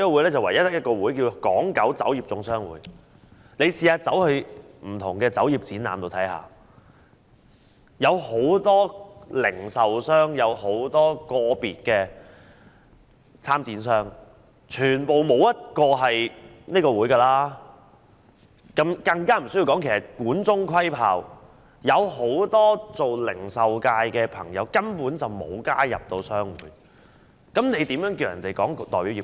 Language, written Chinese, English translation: Cantonese, 如果大家到不同的酒業展覽中看看，便會發現當中有很多零售商及個別參展商，沒有一個是屬於這個會的，情況一如管中窺豹，而且很多零售界的朋友根本沒有加入商會，那麼怎可以說是代表業界呢？, If Members have been to various wine exhibitions they will find many retailers and individual exhibitors there and none of them belongs to this association . The situation is like looking at the leopard through the tube as one can only see its spots without having a full view of it . Added to this is that many members of the retail sector have not joined the trade associations